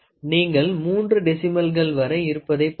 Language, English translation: Tamil, So, you can see here it can see the decimals it can go up to three decimals